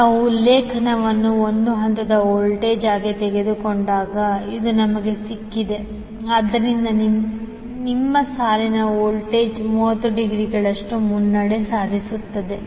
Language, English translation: Kannada, This is we have got when we take the reference as a phase voltage, so your line voltage will be leading by 30 degree